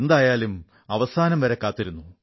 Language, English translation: Malayalam, Anyway, finally the opportunity has dawned